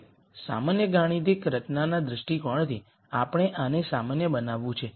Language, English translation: Gujarati, Now, from a general mathematical formulation viewpoint, we are going to generalize this